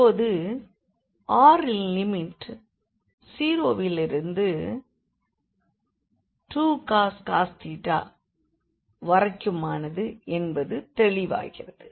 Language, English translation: Tamil, So, the limits of r is also clear now, r is going from 0 to 2 cos theta